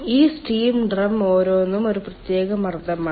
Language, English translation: Malayalam, each of these steam drum is one particular pressure